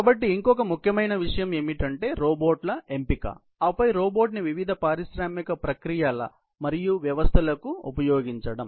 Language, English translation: Telugu, So, the other most important issue is about the robots selection, and then also the application of robot to various industrial processes and systems